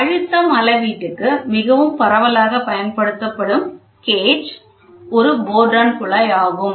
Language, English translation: Tamil, The most widely used gauge for pressure measurement is a Bourdon tube which is this way pressure